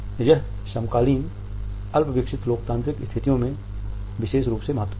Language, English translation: Hindi, It was particularly important in the contemporary rudimentary democratic situations